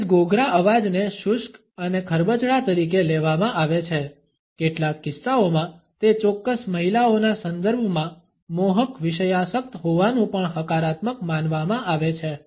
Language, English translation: Gujarati, A husky voice is understood as dry and rough, in some cases it can also be perceived positively as being seductively sensual in the context of certain women